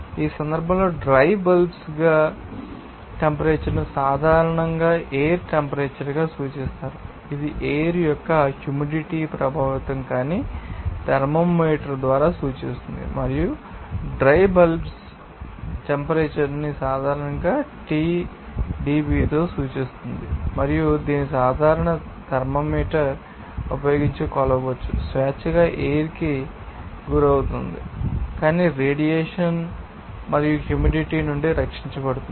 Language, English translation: Telugu, In this case, the dry bulb temperatures are usually referred to as the air temperature that will indicate by a thermometer not affected by the moisture of the air and dry bulb temperature is denoted by Tdb generally, and it can be measured using a normal thermometer freely exposed to the air but shielded from radiation and moisture